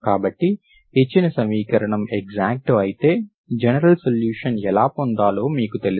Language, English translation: Telugu, So if it is exact, you know how to get the solution, general solution